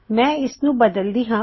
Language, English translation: Punjabi, Let me change this